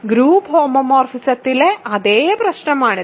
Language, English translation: Malayalam, This is exactly the same problem as in group homomorphisms ok